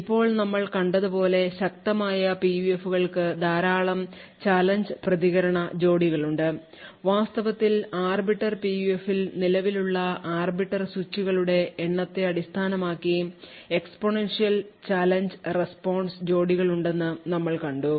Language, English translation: Malayalam, Now strong PUFs as we have seen has huge number of challenge response pairs, in fact we have seen that there is exponential number of challenge response pairs based on the number of arbiter switches present in the Arbiter PUF